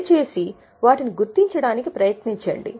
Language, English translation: Telugu, Please try to identify them